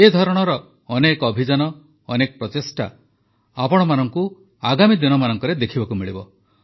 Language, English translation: Odia, In the days to come, you will get to see many such campaigns and efforts